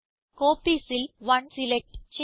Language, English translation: Malayalam, * In Copies, we will select 1